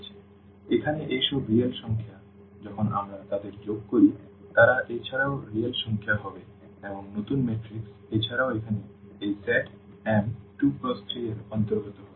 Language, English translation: Bengali, So, here these are all real numbers when we add them they would be also real number and the new matrix will also belongs to this set here m 2 by 3